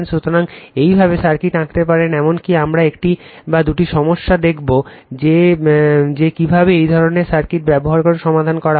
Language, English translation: Bengali, So, this way you can draw the circuit, even you will see one or two problem that how to solve using this kind of circuit right